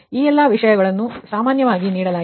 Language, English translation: Kannada, so all these things given